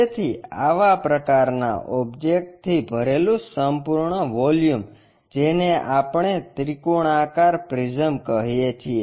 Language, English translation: Gujarati, So, the complete volume filled by such kind of object, what we call triangular prism